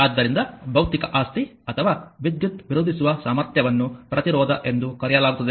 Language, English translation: Kannada, So, the physical property or ability to resist current is known as resistance